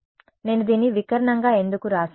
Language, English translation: Telugu, Oh, why did I write this as diagonal